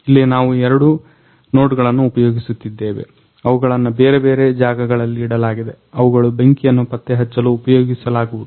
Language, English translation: Kannada, So, here we use our two nodes which are used one are used for the one; two node which are placed in different places which are used to detect the fire